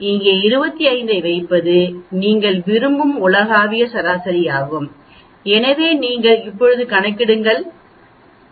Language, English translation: Tamil, So here we put 25 is the global average which you are interested in so we can say you calculate now